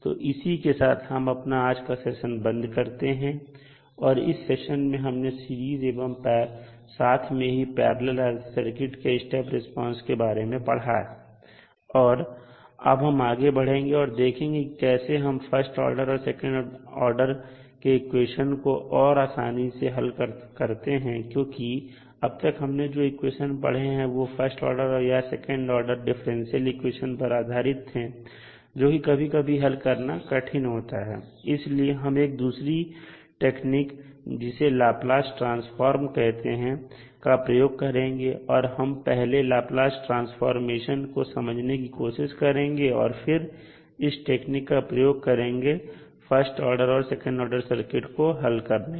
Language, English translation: Hindi, so with this we can close our today’s session, so in this session we discussed the step response for Series RLC Circuit as well as the Parallel RLC Circuit and now we will proceed forward to solve this first order second order equations in more easier format, because in this type of equations till know what we discussed was based on the differential equations those were first order and second order differential equations